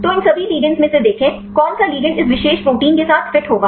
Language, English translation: Hindi, So, see from among all these ligands, which ligand will fit with this particular protein